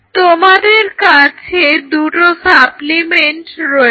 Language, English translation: Bengali, And you have 2 supplement